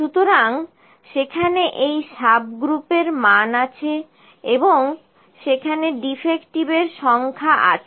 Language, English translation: Bengali, So, and this subgroup value is there and the number of defective is there